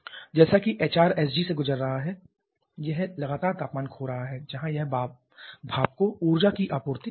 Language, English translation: Hindi, This continuous line represents the gas as it is passing through HRSG it is continuously losing the temperature where it is supplying energy to the steam